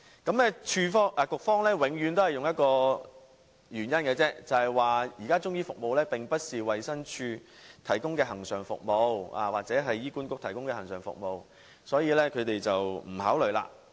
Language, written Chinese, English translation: Cantonese, 局方永遠以同一理由來解釋，說中醫服務現時並非衞生署或醫院管理局提供的恆常服務，所以不予考慮。, The Administration explained that Chinese medicine is not a regular service of the Department of Health or the Hospital Authority so it will not be considered